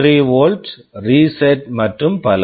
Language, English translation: Tamil, 3 volt, reset and so on